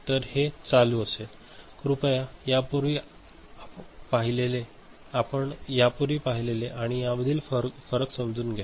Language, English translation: Marathi, So, if this is on; please understand the difference between what we had seen before and this one